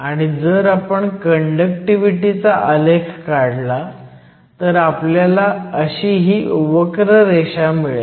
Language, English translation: Marathi, And if we plot the conductivity, which is the solid line, we get a curve like this